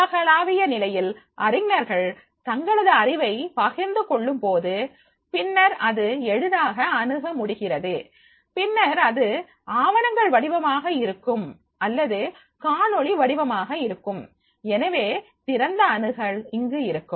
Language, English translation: Tamil, At the global level when the scholars, when they are sharing their knowledge and then that will be easily accessible and then it can be in the form of the documents and it can be in the form of the videos and therefore open access will be there